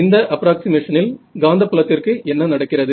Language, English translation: Tamil, Under this approximation, what happens to the magnetic field